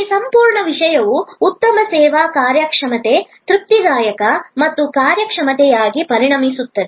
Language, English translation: Kannada, Then, this whole thing will become a good service performance, a satisfactory service performance